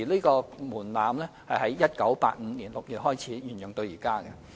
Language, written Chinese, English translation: Cantonese, 該門檻自1985年6月開始沿用至今。, The levy threshold has remained unchanged since June 1985